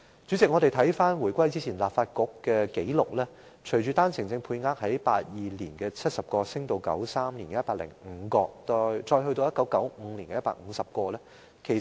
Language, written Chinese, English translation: Cantonese, 主席，翻看回歸前的立法局紀錄，單程證配額於1982年為70名，於1993年增至105名，再於1995年增加至150名。, President referring to the record of the former Legislative Council before the reunification the quota for OWPs was 70 in 1982 which was increased to 105 in 1993 and 150 in 1998